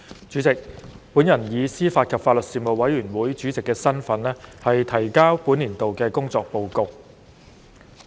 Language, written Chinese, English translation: Cantonese, 主席，本人以司法及法律事務委員會主席的身份，提交本年度的工作報告。, President in my capacity as Chairman of the Panel on Administration of Justice and Legal Services the Panel I submit the report on the work of the Panel for the current session